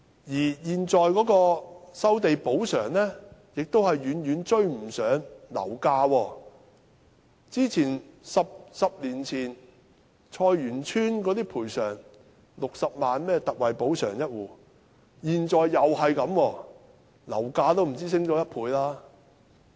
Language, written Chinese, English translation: Cantonese, 而現時的收地補償亦遠遠追不上樓價 ，10 年前菜園村每戶有60萬元特惠補償，現在仍然是這個金額，樓價卻已上升了不止1倍。, The present compensation for land resumption also lags far behind the property price . A decade ago the ex gratia compensation granted to each household in Choi Yuen Tsuen was 600,000 . Now this amount remains the same but the property price has more than doubled